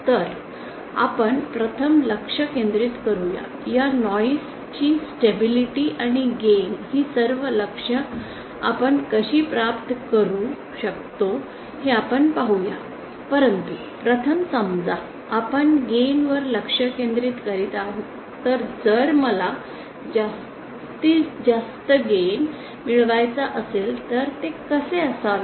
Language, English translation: Marathi, So let us first concentrate we’ll see how we can achieve all these targets this noise stability and gain but first let us suppose we are concentrating on the gain aspect so if I want to achieve the maximum gain then what should it be